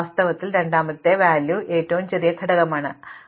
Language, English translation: Malayalam, In fact, the second element is the smallest element and so, on